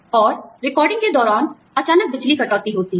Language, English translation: Hindi, And, during recordings, suddenly, there is the power cut